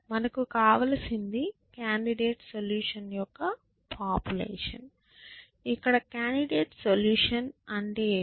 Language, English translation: Telugu, What we want is a population of candidate solution, and what is a candidate solution